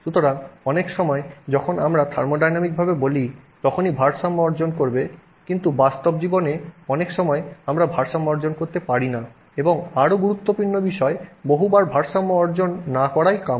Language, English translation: Bengali, So, for many times even though you know when we say in thermodynamically equilibrium will be attained and so on, in real life many times we are actually not attaining equilibrium and even more importantly many times it is desirable not attain equilibrium